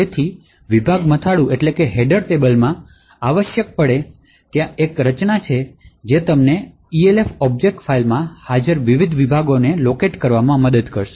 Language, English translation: Gujarati, So, in the section header table, essentially there is a structure which would help you locate the various sections present in the Elf object file